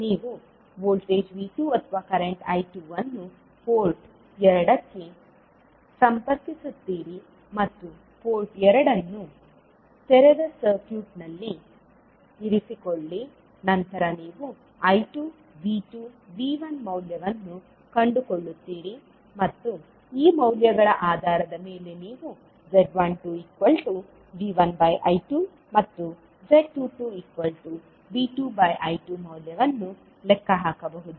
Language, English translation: Kannada, You will connect voltage V2 or current I2 to port 2 and keep port 1 open circuited, then, you will find the value of I2, V2 and V1 and based on these values you can calculate the value of Z12 as V1 upon I2 and Z22 as V2 upon I2